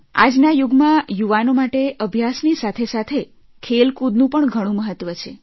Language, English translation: Gujarati, For the youth in today's age, along with studies, sports are also of great importance